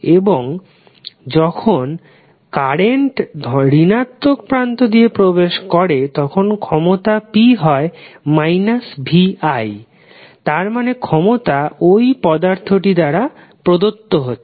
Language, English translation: Bengali, And when current enters through the negative terminal then power p is negative of vi that means power is being supplied by this element